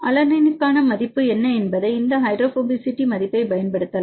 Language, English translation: Tamil, You can use these hydrophobicity value what is the value for alanine